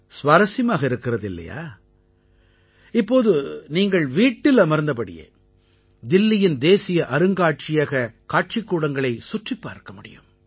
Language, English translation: Tamil, Now, sitting at your home, you can tour National Museum galleries of Delhi